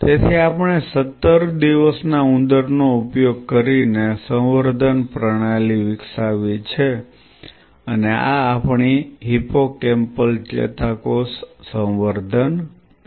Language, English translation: Gujarati, So, we developed a culture system, using fetal 17 day rat and this is our hippocampal neuron culture